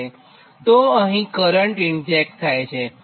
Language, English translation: Gujarati, this current is getting injected right